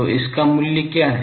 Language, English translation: Hindi, So, and what is its value